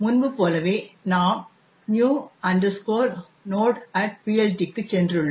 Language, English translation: Tamil, And, as before, we have gone into the new node PLT